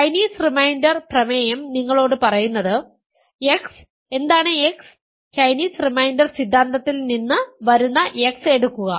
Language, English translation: Malayalam, And Chinese reminder is theorem is telling you that x, what that x is, take the x that comes from Chinese reminder theorem